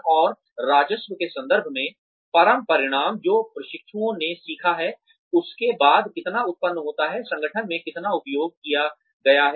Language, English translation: Hindi, And, the ultimate results, in terms of the revenue, that is generated after the, whatever the trainees have learnt, has been used in the organization